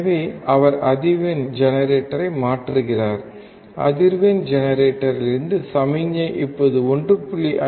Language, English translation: Tamil, So, he is changing the frequency generator; the signal from the frequency generator which is now 1